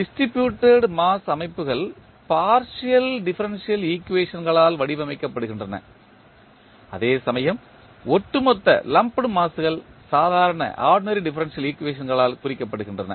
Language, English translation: Tamil, The distributed mass systems are modeled by partial differential equations whereas the lumped masses are represented by ordinary differential equations